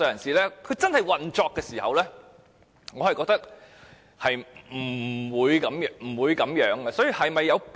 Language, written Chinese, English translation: Cantonese, 在真正運作時，我覺得是不會這樣做的。, I do not think law enforcement officers will do so in the actual implementation